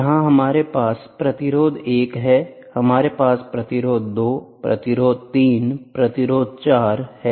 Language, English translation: Hindi, So, here we have resistance 1, we have resistance 2 resistance 3 resistance 4, ok